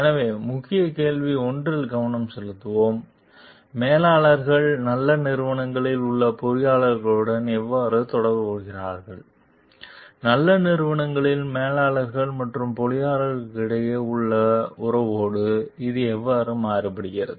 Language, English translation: Tamil, So, let us focus on key question 1, like how do managers relate to engineers in good companies and how does this contrast with the relation between managers and engineers at companies that are not as good